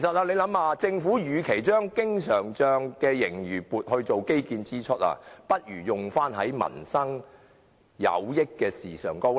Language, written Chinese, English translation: Cantonese, 試想想，政府與其將經常帳的盈餘撥作應付基建支出之用，倒不如用於對民生有益的事情上。, Instead of using the surplus in the current account to cover infrastructure expenses the Government may spend the money for the benefit of peoples livelihood